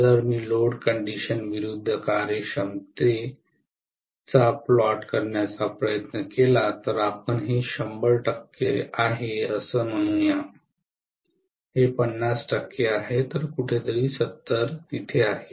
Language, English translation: Marathi, So if I try to plot actually efficiency versus load condition, so let us say this is 100 percent, this is 50 percent, so 70 lies somewhere here